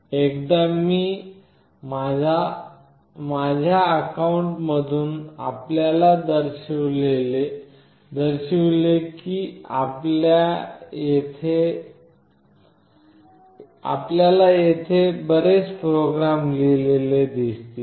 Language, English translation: Marathi, Once I show you from my account you will see that there are many programs that are written here